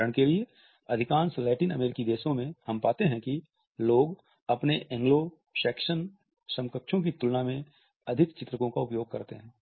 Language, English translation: Hindi, There are certain cultures for example, in most of the Latin American countries we find that people use more illustrators in comparison to their Anglo Saxon counterparts